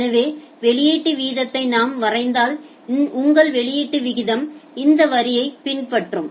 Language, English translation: Tamil, So, if we draw the output rate your output rate will follow this line